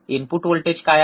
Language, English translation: Marathi, What is the input voltage